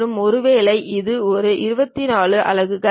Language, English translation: Tamil, And, perhaps this one 24 units